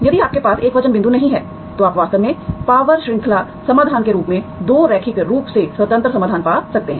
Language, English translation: Hindi, If you do not have singular points, you can actually find 2 linearly independent solutions as power series solutions